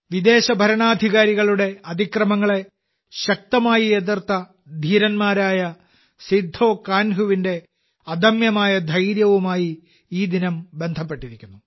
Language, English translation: Malayalam, This day is associated with the indomitable courage of Veer Sidhu Kanhu, who strongly opposed the atrocities of the foreign rulers